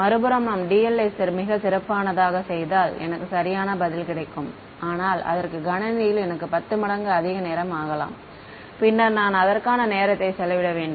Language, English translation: Tamil, On the other hand, if I am make dl very very fine, I will get the correct answer, but it may take me 10 times more time on the computer, then I should have spent on it